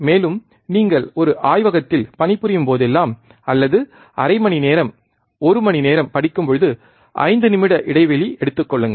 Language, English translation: Tamil, Also, whenever you work in a laboratory or when you study for half an hour study for one hour take 5 minutes break